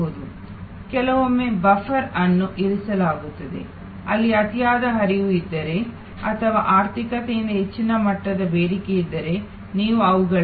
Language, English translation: Kannada, Sometimes a buffer is kept, where if there is an over flow or if higher level of demand from the economy then you shift them to the